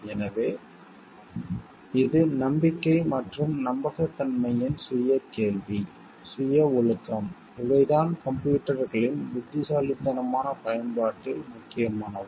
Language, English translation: Tamil, So, it is a self question of trust and trustworthiness, self discipline these are the things which becomes important in the wise usage of the computers